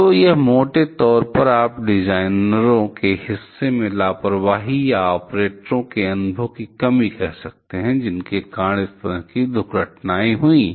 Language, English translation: Hindi, So, it is grossly you can say a negligence from the part of the designers or the lack of experience from the part of the operators, which led to such kind of accidents